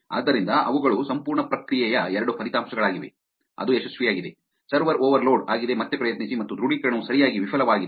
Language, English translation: Kannada, So, those are two outcomes of the whole process which is success, server overloaded try again and an authorization failed right